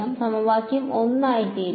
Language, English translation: Malayalam, So, equation one will become